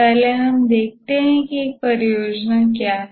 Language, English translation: Hindi, First, let us look at what is a project